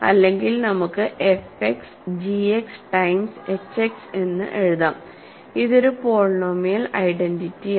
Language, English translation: Malayalam, If not, we can write f X as some g X times h X, this is a polynomial identity